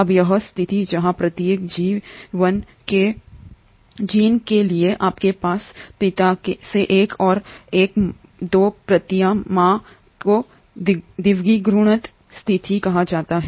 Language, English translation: Hindi, Now, this situation where, for every gene, you have 2 copies one from father and one from mother is called as a diploid situation